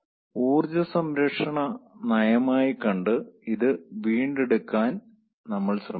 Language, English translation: Malayalam, we try to recover this as a policy of energy conservation